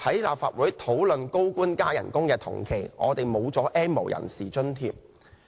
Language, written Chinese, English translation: Cantonese, 立法會討論高官增薪的同時，我們失去 "N 無人士"津貼。, While the Legislative Council is discussing pay increases for high - ranking officials we are depriving the N have - nots of their allowances